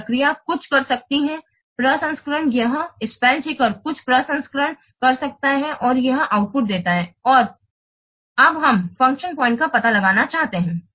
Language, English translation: Hindi, The spell checker can do some processing and give these outputs and now we want to find out the function point